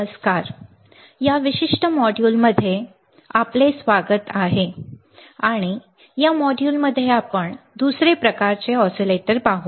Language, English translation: Marathi, Hi, welcome to this particular module and in this module, we will see another kind of oscillator